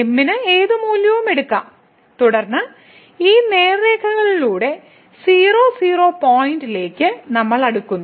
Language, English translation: Malayalam, So, m can take any value and then, we are approaching to the point here the along these straight lines